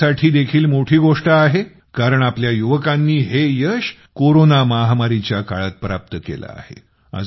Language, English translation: Marathi, This is also a big thing because our youth have achieved this success in the midst of the corona pandemic